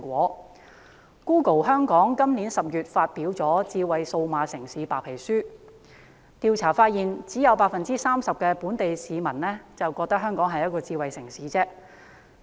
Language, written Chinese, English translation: Cantonese, Google 香港今年10月發表了《智慧數碼城市白皮書》，調查發現只有 30% 本地市民覺得香港是智慧城市。, Google Hong Kong released the Smarter Digital City Whitepaper in October this year . Its findings showed that only 30 % of the local residents consider Hong Kong a smart city